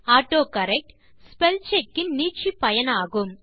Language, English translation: Tamil, The AutoCorrect feature is an extension of Spellcheck